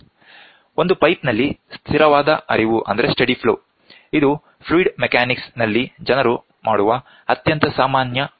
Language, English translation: Kannada, Steady flow in a pipe, this is the very common experiments where fluid mechanics people do